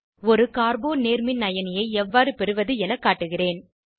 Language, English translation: Tamil, I will show how to obtain a Carbo cation